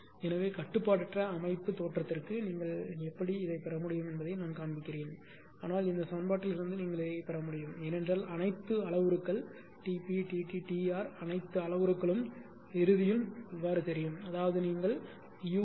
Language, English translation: Tamil, So, for uncontrolled system look this is all I show by how can you can obtain, but how you can obtain from this equation also because all the parameters are known assuming Tp T t T R everything is known all parameters are known at the end I will give you those parameters all the parameters are known ; that means, u is equal to 0